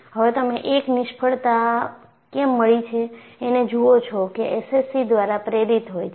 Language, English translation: Gujarati, And now, you see a failure which is precipitated by SCC